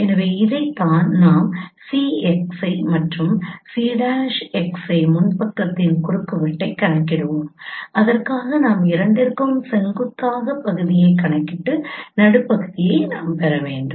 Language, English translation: Tamil, So this is what we will compute intersection of C xI and c prime xI pram and for that we need to compute these segment perpendicular to both and get the mid point